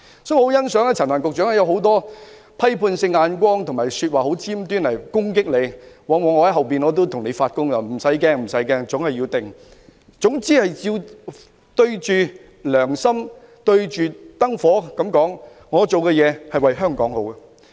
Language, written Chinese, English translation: Cantonese, 所以，我很欣賞陳帆局長，他要承受眾多批判目光及尖銳說話的攻擊——我會在背後為他發功，他無須害怕——總之要鎮定，要對着良心、對着燈火說：我做的事是為香港好。, Hence I appreciate Secretary Frank CHAN enormously . He has to bear a lot of judgmental look and harsh verbal attacks―I will back him up . He needs not be afraid―in a word he should stay calm and say to himself in good conscience What I am doing is for the good of Hong Kong